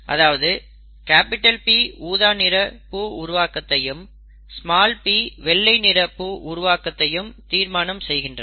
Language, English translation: Tamil, The P determines the purple and the small p determines whether it is white